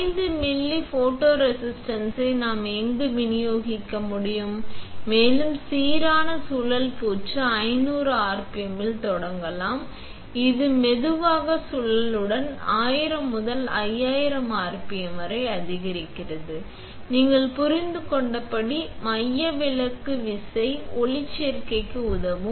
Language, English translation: Tamil, We can dispense anywhere around 5 ml of photoresist, and to have uniform spin coating we can start with 500 rpm which is slow spin followed by 1000 to 5000 rpm which is ramping up and, as you understand, the centrifugal force will help the photoresist to spread